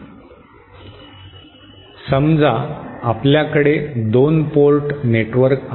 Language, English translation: Marathi, e Suppose we have a 2 port network